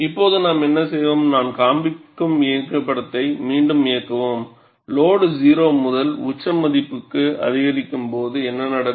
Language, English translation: Tamil, And what we will do now is, we will replay the animation, where I am showing, what happens when load is increased from 0 to the peak value